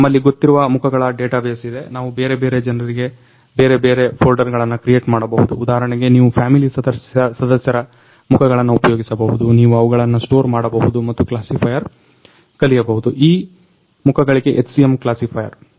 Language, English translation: Kannada, So, we can create different folders for different people like for example, you can use the family members faces, you can store them and learn the classifier; HCM classifier for those faces